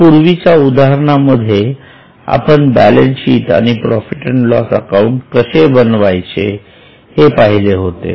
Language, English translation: Marathi, So far in the earlier cases we have seen how to prepare balance sheet we have also seen how to prepare P&L